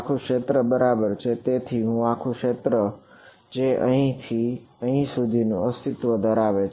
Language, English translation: Gujarati, The entire domain right; so, this entire domain which is existing all the way from let us say here to here